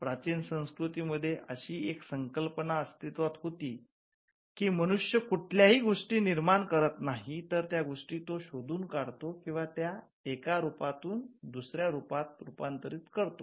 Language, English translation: Marathi, So, the concept that existed in ancient cultures was the fact that human beings did not create anything on their own rather they discovered or converted 1 form of thing to another